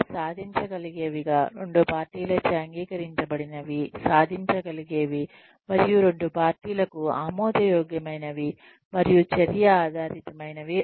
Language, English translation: Telugu, They should be attainable, agreed upon by both parties, achievable and attainable, acceptable in spirit to both parties, and action oriented